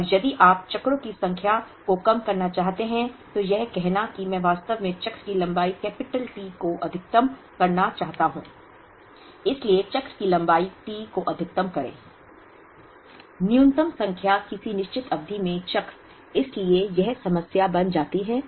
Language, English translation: Hindi, And if you want to minimize the number of cycles, it is like saying I want to actually maximize the cycle length capital T, so maximum the cycle length T, minimum number of cycles in a given period, so this problem becomes this